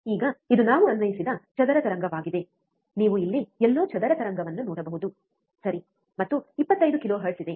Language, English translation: Kannada, Now, this is a square wave that we have applied, you can see square wave here somewhere here, right and there is 25 kilohertz